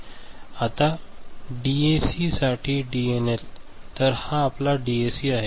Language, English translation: Marathi, Now, DNL for DAC, so this is your DAC right